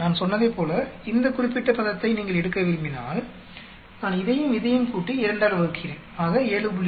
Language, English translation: Tamil, Like, I said if you want to take this particular term, I am adding this plus this by 2, 7